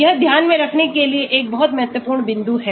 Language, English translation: Hindi, this is a very important point to keep in mind